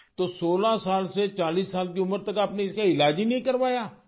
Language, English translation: Urdu, So from the age of 16 to 40, you did not get treatment for this